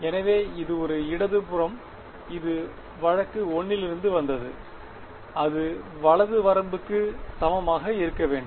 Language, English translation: Tamil, So, that is a left hand side right this is from case 1 and that should be equal to the right limit